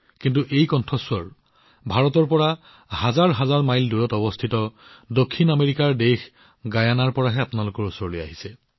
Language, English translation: Assamese, But these notes have reached you from Guyana, a South American country thousands of miles away from India